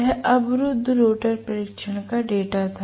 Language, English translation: Hindi, This is what was the data of the blocked rotor test